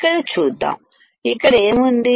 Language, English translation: Telugu, Let us see here what is here